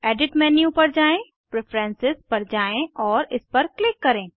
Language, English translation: Hindi, Go to Edit menu, navigate to Preferences and click on it